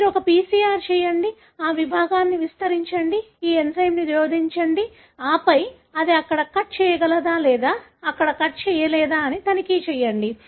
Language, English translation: Telugu, You do a PCR, amplify that segment, add this enzyme and then check whether it is able to cut there or will not be able to cut there